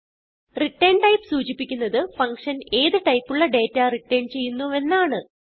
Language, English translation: Malayalam, ret type defines the type of data that the function returns